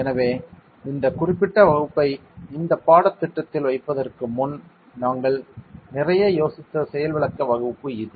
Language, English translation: Tamil, So, this is the demonstration class we have thought a lot after putting this particular class to this course work